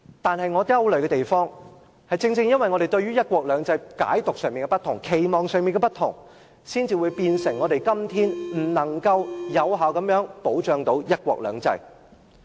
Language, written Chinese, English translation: Cantonese, 可是，我憂慮的地方，正正因為我們對"一國兩制"的解讀及期望不同，令我們今天不能有效保障"一國兩制"。, However I do worry that we fail to protect one country two systems effectively today because of the differences we have over the understanding and expectation of one country two systems